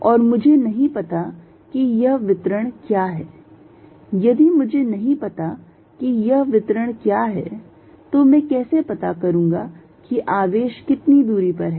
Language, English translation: Hindi, And I do not know what this distribution is, if I do not know what this distribution is how do I figure out, how far are the charges